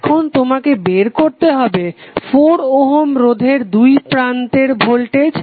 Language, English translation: Bengali, Now you need to find out the voltage across 4 Ohm resistor